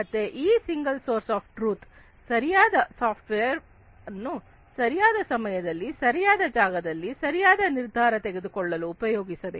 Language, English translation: Kannada, So, this single source of truth must employ the right software, at the right time, at the right place for right decision making